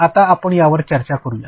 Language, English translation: Marathi, Now, let us just discuss it